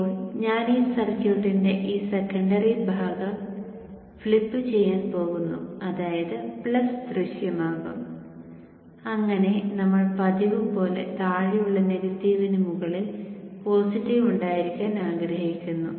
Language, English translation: Malayalam, Now I am going to kind of flip this secondary portion of the circuit such that the plus appears up so that as we are used to we would like to have the positive on top and the negative at the bottom